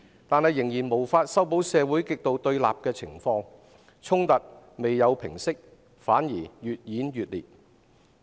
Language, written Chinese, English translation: Cantonese, 但即使如此，仍無法修補社會極度對立的情況，衝突沒有平息，反而越演越烈。, But even so the situation of extreme confrontation in society cannot be repaired . The conflicts have not subsided but intensified instead